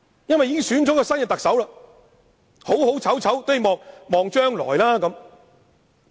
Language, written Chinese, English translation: Cantonese, 新特首已選出，不論好醜，也要寄望將來。, Since a new Chief Executive has already been elected we need to look into the future for good or for worse